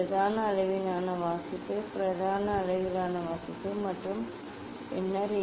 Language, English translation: Tamil, What is the main scale reading, main scale reading and then this just simply , for same way